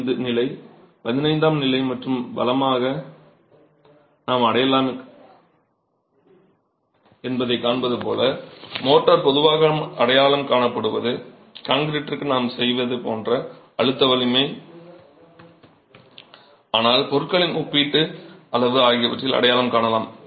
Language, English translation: Tamil, 5, class 15 and so on, the motor is typically identified by its compressive strength like we do for concrete but also by the relative volume of materials